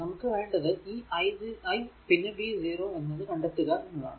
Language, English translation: Malayalam, So, basically we can write either 2 into i 2 or plus v 0